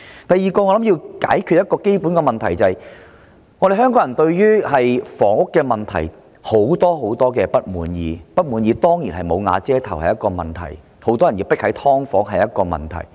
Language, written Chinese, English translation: Cantonese, 第二，我想談談一個基本的問題，那便是香港人對房屋問題抱有很多不滿，"無瓦遮頭"當然是一個問題、很多人迫於居住在"劏房"中也是一個問題。, Secondly I would like to talk about a basic problem ie . Hong Kong people are very discontented with the housing situation . Without a roof is of course a problem too many people have no alternative but live in subdivided units is also a problem